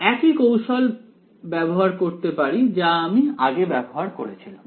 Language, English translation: Bengali, I can play the same trick that I had played previously right